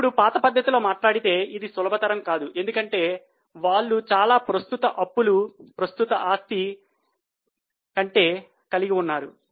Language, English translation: Telugu, Now, traditionally speaking, this is not a comfortable position because they have much more current liabilities than their current assets